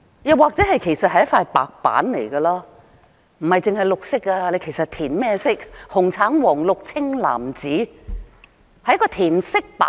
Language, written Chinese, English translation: Cantonese, 又或者其實是一塊白板，不單只是綠色，填甚麼顏色也可以，紅、橙、黃、綠、青、藍、紫，只是一塊填色板。, Or it is actually a white board which can be coloured not only in green but any colour be it red orange yellow green blue indigo or violet and it is merely a colouring board